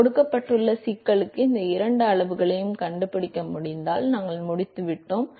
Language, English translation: Tamil, So, if we are able to find these two quantities for a given problem we are done